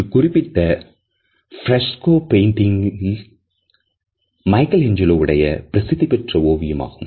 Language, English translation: Tamil, This particular fresco painting is an iconic painting by Michelangelo